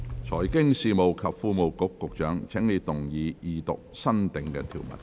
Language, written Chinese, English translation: Cantonese, 財經事務及庫務局局長，請動議二讀新訂條文。, Secretary for Financial Services and the Treasury you may move the Second Reading of the new clauses